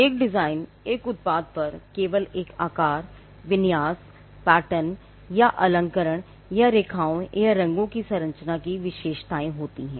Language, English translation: Hindi, A design is only the features of shape, configuration, pattern or ornamentation or composition of lines or colours on a product